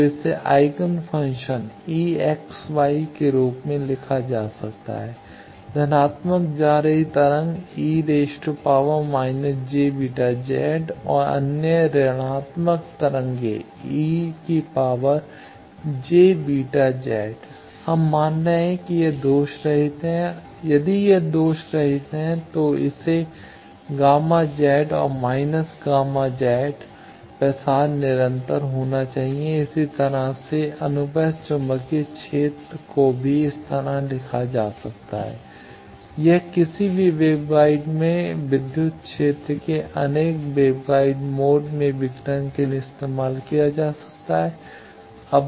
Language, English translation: Hindi, So, that can be written as eigenfunction e x, y into 1 positive going wave e to the power minus j beta Z and other negative going wave e to the power minus e to the power plus j beta Z we are calling j beta that means, we are assuming it is lossless, if it is not lossless it should be gamma Z and minus gamma Z a propagation constant similarly the transverse magnetic field also can be written like this this is the breaking of any web guide any electric field into various web guide modes